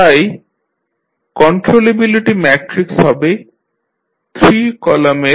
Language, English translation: Bengali, So, the controllability matrix will now have 3 columns